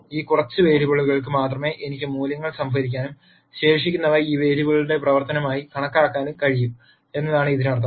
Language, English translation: Malayalam, Then it means that actually I can store values for only these few variables and calculate the remaining as a function of these variables